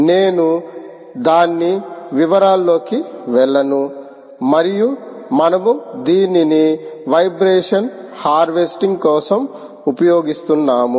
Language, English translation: Telugu, i won't get into the detail of that, and we are using it for vibration harvesting